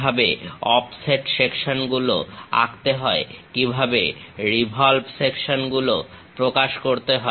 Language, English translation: Bengali, How to draw offset sections, how to represent revolve sections